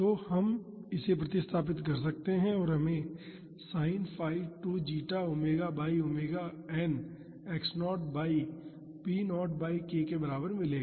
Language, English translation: Hindi, So, we can substitute that and we would get sin phi is equal to 2 zeta omega by omega n x naught by p naught by k